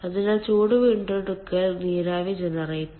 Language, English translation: Malayalam, that is called heat recovery steam generator